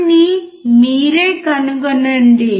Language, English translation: Telugu, Find it out yourself